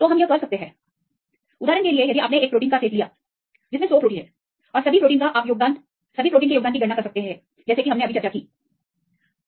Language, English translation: Hindi, So, we can relate; for example, if you have set of proteins for example, 100 proteins if you know; all the 100 proteins you calculate all the contributions; now as we discussed now